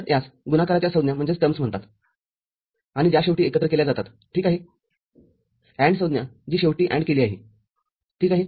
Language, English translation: Marathi, So, these are called product terms and which is finally summed ok, the AND terms which is finally ORed ok